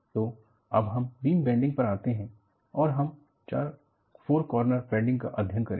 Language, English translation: Hindi, So, you go to bending of a beam and we take up four point bending